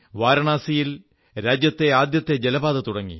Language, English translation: Malayalam, India's first inland waterway was launched in Varanasi